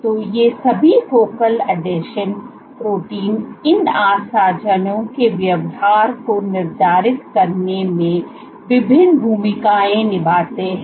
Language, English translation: Hindi, So, all these focal adhesion proteins play various roles in dictating the behavior of these adhesions